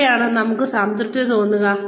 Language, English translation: Malayalam, Where will we feel satisfied